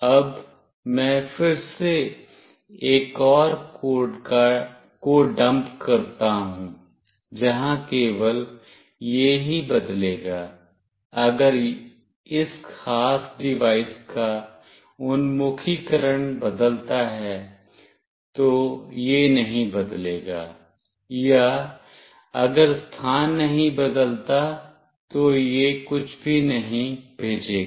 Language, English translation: Hindi, Now, I again dump another code, where only it will change, if the orientation of this particular device changes, it will not change or it will not send anything if the position does not change